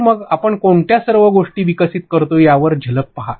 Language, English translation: Marathi, So, glimpse into what all stuff we develop